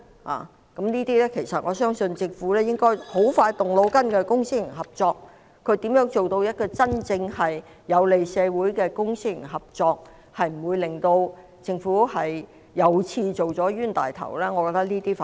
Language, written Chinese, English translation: Cantonese, 就公私營合作方面，我相信政府很快便會動腦筋，思考如何做到真正有利社會的公私營合作，不會令政府又做了冤大頭，我覺得這些我們反而要密切留意。, As far as public - private partnership is concerned I believe the Government will soon rack its brains on how to establish public - private partnerships that are truly beneficial to society without itself being ripped off again . I think these are what we should pay close attention to instead